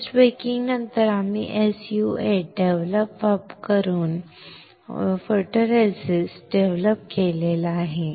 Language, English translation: Marathi, After post baking we have developed the photoresist using SU 8 developer